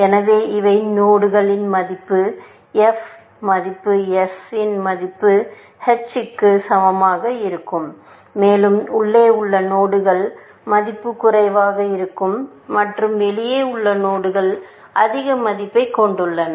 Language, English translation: Tamil, So, these are the nodes whose f value is equal to that value h of s, and nodes inside will have lesser value, and the nodes outside have greater value